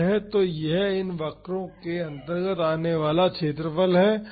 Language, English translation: Hindi, So, that is the area under this these curves